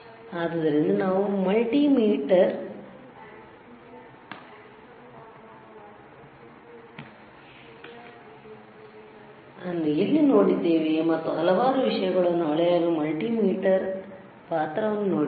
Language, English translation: Kannada, So, where were we have seen the multimeter, and the role of multimeter to measure several things, right